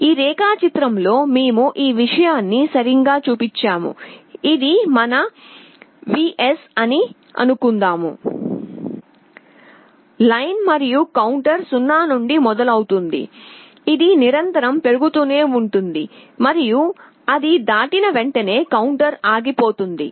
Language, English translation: Telugu, In this diagram we have showed exactly this thing, suppose this is our Vin that you are applied this dotted line, and the counter will starts from 0 it will continuously go on incrementing and as soon as it crosses the counter will stop